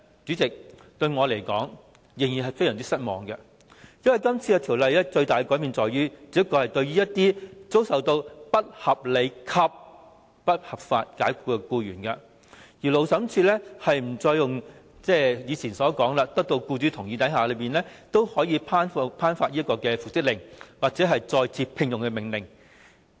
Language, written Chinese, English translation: Cantonese, 主席，我仍然感到非常失望，因為《條例草案》作出最大的改變，只是對於遭不合理及不合法解僱的僱員，勞資審裁處不再像以前要得到僱主同意，才能作出復職或再次聘用的命令。, President I am still very disappointed because the biggest change introduced by the Bill is that for employees who are unreasonably and unlawfully dismissed the Labour Tribunal will no longer seek the consent of employers before issuing an order for reinstatement or re - engagement